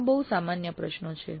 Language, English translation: Gujarati, These are very general questions